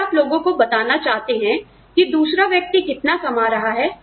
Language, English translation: Hindi, If you want people to know, what the other person is earning